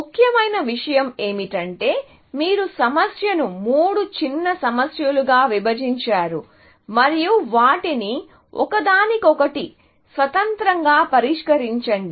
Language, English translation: Telugu, The important thing is that you have broken the problem down into three smaller problems, and solve them independently, of each other